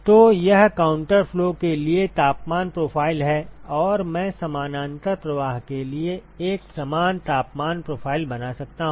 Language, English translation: Hindi, So, that is the temperature profile for counter flow and, I can draw a similar temperature profile for parallel flow